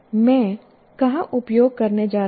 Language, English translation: Hindi, Say, where am I going to use it